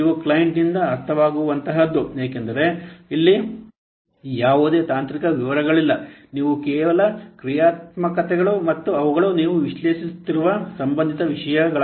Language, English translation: Kannada, Understandable by the client because here no technical details are there, you just what are the functionalities and they are associated things you are just analyzing